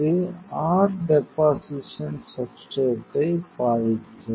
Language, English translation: Tamil, So, it will affect your deposition substrate